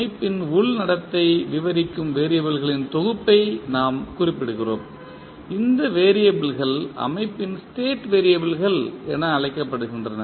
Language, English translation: Tamil, We specify a collection of variables that describe the internal behaviour of the system and these variables are known as state variables of the system